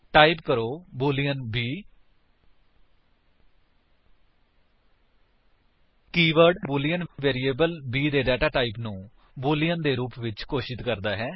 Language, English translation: Punjabi, Type boolean b The keyword boolean declares the data type of the variable b as boolean